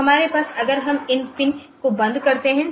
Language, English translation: Hindi, So, we have if we close this pin